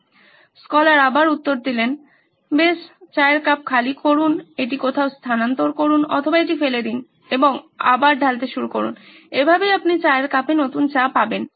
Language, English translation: Bengali, And the scholar answered well empty the tea cup, transfer it somewhere or just throw it out and start pouring it again that’s how you get new tea into the tea cup